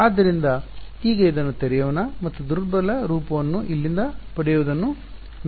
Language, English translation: Kannada, So, now, let us let us open this up and see what the weak form is obtained from here